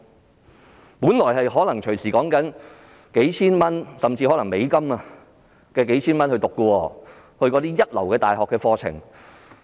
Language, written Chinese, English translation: Cantonese, 學費本來可能動輒數千元甚或數千美元，因為是一流大學的課程。, Initially their tuition fees may cost a few thousand Hong Kong dollars or even a few thousand US dollars because their courses come from first - class universities